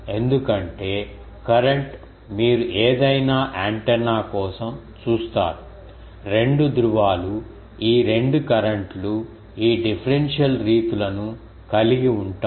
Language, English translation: Telugu, Because, current you see for any antenna the 2 poles these 2 currents they will be having this differential modes